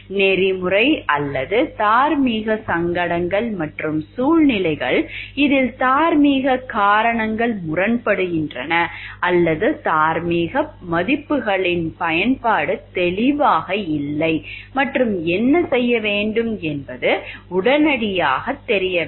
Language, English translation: Tamil, Now we will discuss about the ethical or moral dilemmas the ethical or moral dilemmas are situations, where in which moral reasons coming to conflict or in which the application of moral values are unclear and it is not immediately obvious that what should be done